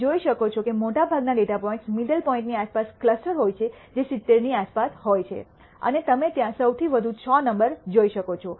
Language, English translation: Gujarati, You can see that the most of the data points are clustered around the middle point which is around 70 and you can see highest number 6 there